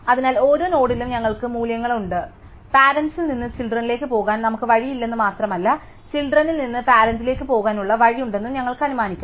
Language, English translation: Malayalam, So, we have values at each node and we will assume that not only do we have way to go from the parent to the child, but we also have a way to go from the child to the parent